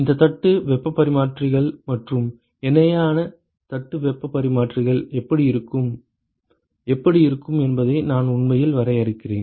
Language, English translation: Tamil, I will actually I will sketch, how these plate heat exchangers and a parallel plate heat exchangers, how they look like